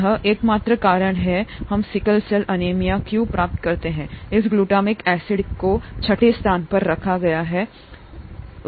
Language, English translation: Hindi, ThatÕs the only reason why we get sickle cell anaemia; this glutamic acid at the sixth position has been replaced by another amino acid